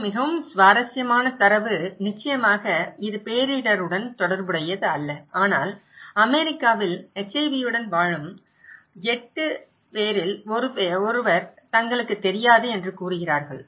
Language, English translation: Tamil, Of course, it is not related to disaster but it’s saying that 1 in 8 living with HIV in US they don’t know, they don’t know that they are infected